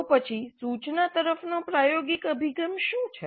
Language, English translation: Gujarati, What then is experiential approach to instruction